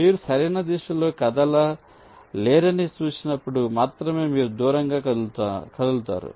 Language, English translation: Telugu, only when you see that you cannot move in the right direction, then only you move away